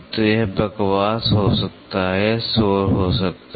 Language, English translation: Hindi, So, it can be chatter, it can be noise